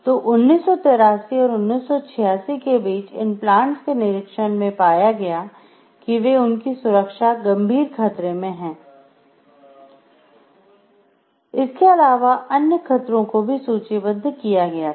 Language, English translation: Hindi, So, between 1983 and 1986 inspections at these plants indicated they were serious safety hazards, and the other hazards were listed over here